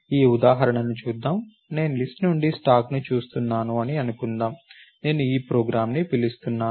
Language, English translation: Telugu, So, let us look at this example, let us say I look at stack from list is what I am calling this program